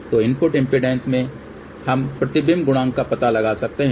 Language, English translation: Hindi, So, from this input impedance, we can find out the reflection coefficient